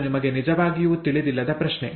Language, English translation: Kannada, That is the question, you do not really know